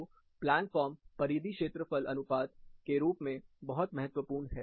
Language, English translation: Hindi, So, the plan form, in terms of perimeter to area ratio is very crucial